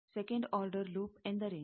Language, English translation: Kannada, What is the second order loop